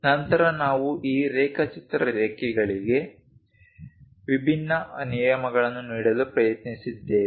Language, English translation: Kannada, Then we have tried to look at different rules for this drawing lines